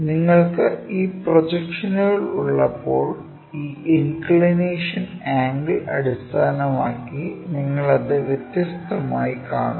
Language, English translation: Malayalam, Based on my inclination angle when you have these projections you see it in different way